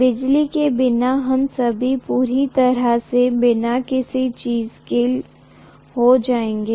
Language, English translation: Hindi, Without electricity, we will all be completely without anything